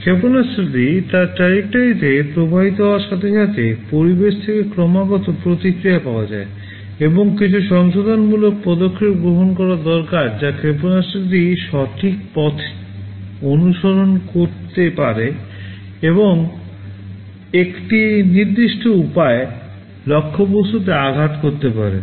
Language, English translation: Bengali, As the missile flows in its trajectory, there is continuous feedback from the environment and there are some corrective actions that need to be taken such that the missile can follow the correct path and hit the target in a precise way